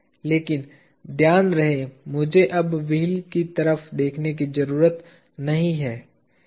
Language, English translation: Hindi, But mind you I do not have to look at the wheel anymore